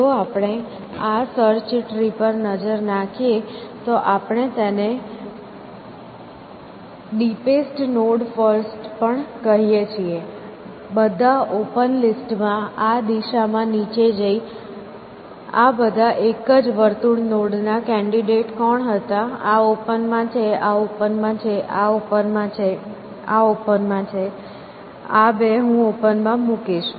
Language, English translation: Gujarati, If we look at this search tree, we can also called it as the deepest node first, going down this direction of all the open list, who was the candidates in open all these single circle nodes, this is in open; this is in open; this is in open; this is in open, these two I will open